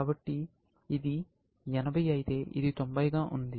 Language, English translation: Telugu, So, if this was 80; this was, this is on 90